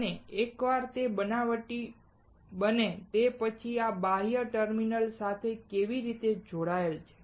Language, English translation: Gujarati, And once it is fabricated how is it connected to these external terminals